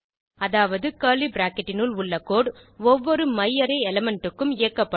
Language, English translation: Tamil, That is, the code within the curly bracket will be executed for each myarray element